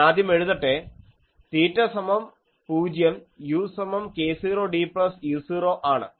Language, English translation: Malayalam, And when theta is equal to pi, u is equal to minus k 0 d plus u 0